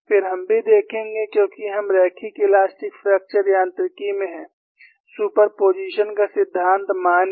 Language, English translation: Hindi, Then, we would also see, because we are in linear elastic fracture mechanics, principle of superposition is valid